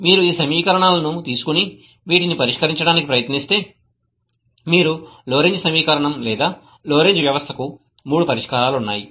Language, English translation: Telugu, If you take these equations and try to solve these, you will find that Lorentz equation, Lorentz system has three solutions